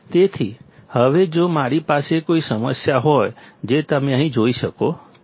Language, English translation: Gujarati, So, now if I have a problem, which you can see here